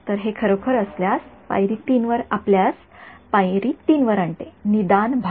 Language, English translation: Marathi, So, that is actually brings us to step 3 the diagnosis part